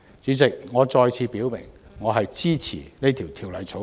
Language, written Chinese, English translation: Cantonese, 主席，我再次表明支持這項《條例草案》。, With these remarks President I reiterate my support for the Bill